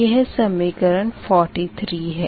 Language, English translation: Hindi, this is equation forty seven